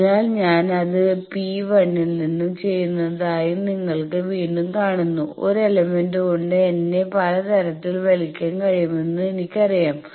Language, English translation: Malayalam, So, you see again I am doing that from P 1, I will be pulled i know that by 1 element I can be pulled in various ways